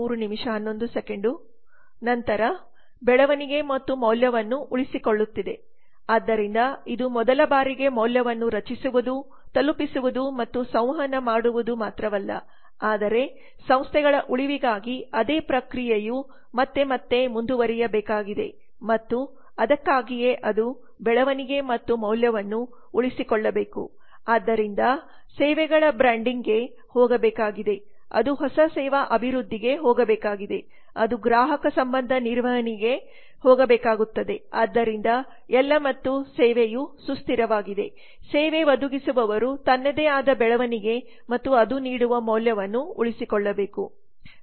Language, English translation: Kannada, then there is sustaining the growth and the value so it is not only the creating delivering and communicating value for the first time but the same process has to go on again and again for the survival of the organizations and that is why it has to sustain the growth and value so it has to go for branding of the services it has to go for new service development it has to go for customer relationship management so with all those and the service has be sustain the service provider has to sustain its own growth and the value that it delivers